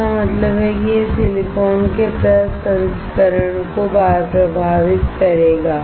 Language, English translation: Hindi, That means, it will affect the processing of silicon